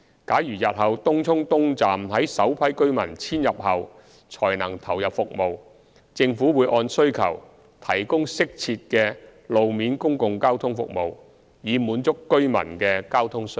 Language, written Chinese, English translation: Cantonese, 假如日後東涌東站於首批居民遷入後才能投入服務，政府會按需求提供適切的路面公共交通服務，以滿足居民的交通需要。, If Tung Chung East Station is commissioned after the first population intake the Government will provide appropriate road - based public transport services to satisfy the need of the community